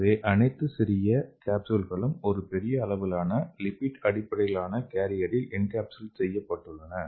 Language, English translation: Tamil, So all the small capsules are encapsulated into a big size lipid based carrier